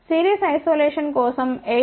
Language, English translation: Telugu, For series isolation is about 8